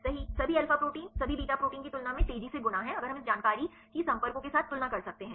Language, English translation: Hindi, Right all alpha is proteins fold faster than all beta proteins right if we can compare this information with the contacts